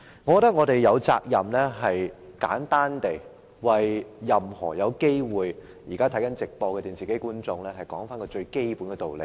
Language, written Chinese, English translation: Cantonese, 我認為我們有責任為正在收看電視直播的觀眾，簡單說明一個最基本的道理。, I think we have the responsibility to briefly explain a most basic rationale to those who are now watching the television broadcast